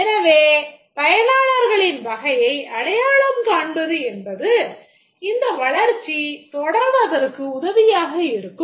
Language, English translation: Tamil, So, identifying the category of users is helpful as the development proceeds